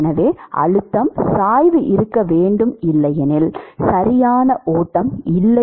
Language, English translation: Tamil, So there has to be a Pressure gradient otherwise there is no flow right